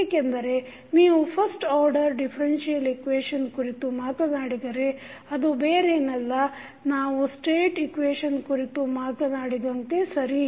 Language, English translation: Kannada, Because, when you talk about the first order differential equation that is nothing but the state equation we are talking about